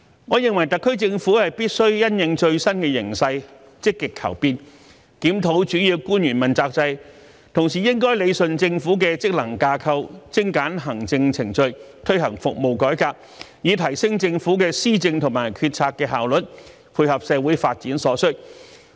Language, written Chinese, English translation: Cantonese, 我認為，特區政府必須因應最新形勢，積極求變，檢討主要官員問責制，同時應理順政府的職能架構，精簡行政程序，推行服務改革，以提升政府的施政和決策的效率，配合社會發展所需。, I hold that it is incumbent upon the SAR Government to effect positive change having regard to the latest development and review the accountability system for principal officials . At the same time it should straighten out the functions and framework of the Government streamline the administrative procedure and launch service reform so as to enhance the Governments efficiency in policy implementation and decision making to meet the need of social development